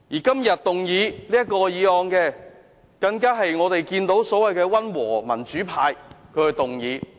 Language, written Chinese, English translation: Cantonese, 今天這項議案，是由所謂的溫和民主派動議的。, This motion today was moved by a Member from the so - called moderate pro - democracy camp